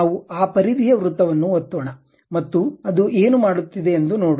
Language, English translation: Kannada, Let us click that perimeter circle and see what it is doing